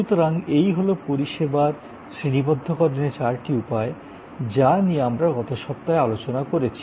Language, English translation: Bengali, So, these are four ways of classifying services that we discussed last week